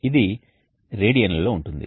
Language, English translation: Telugu, sr is in radians